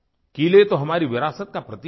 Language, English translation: Hindi, Forts are symbols of our heritage